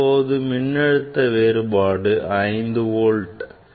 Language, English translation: Tamil, now, it is 5 volt